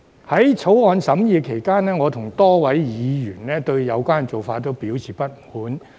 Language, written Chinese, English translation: Cantonese, 在《條例草案》審議期間，我與多位議員均對有關做法表示不滿。, During the course of deliberation of the Bill many members and I have expressed discontent with this approach